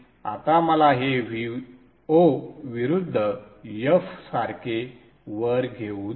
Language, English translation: Marathi, Now let me take this up like that V0 versus F